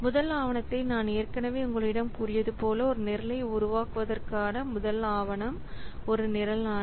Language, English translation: Tamil, So as I have already told you, the first document, the first document for creating a program is a program mandate